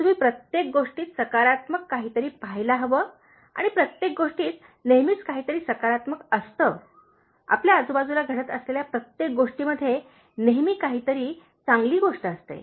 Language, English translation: Marathi, You should look for something positive in everything and there is always something positive in everything, everything that has been happening around us, there is always some good thing